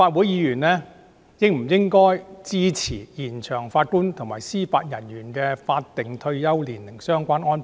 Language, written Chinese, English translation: Cantonese, 這些都是延展法官及司法人員的退休年齡的理由。, These are all grounds for extending the retirement age for Judges and Judicial Officers